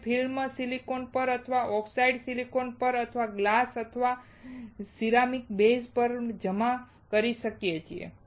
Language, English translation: Gujarati, We can deposit the film on silicon or on oxidized silicon or on glass or on ceramic base